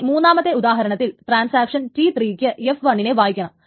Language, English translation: Malayalam, Then suppose the third example is that there is a transaction T3 which wants to read F1